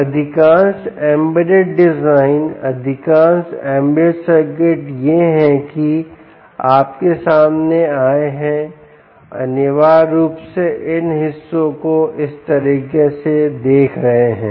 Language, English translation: Hindi, now, most embedded designs, most embedded circuits that you come across will essentially looking at these parts, things like this: ok, you take